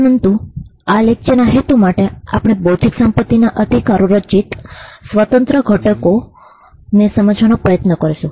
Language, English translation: Gujarati, But for the purpose of this lecture, we will try to explain the independent ingredients that constitute intellectual property rights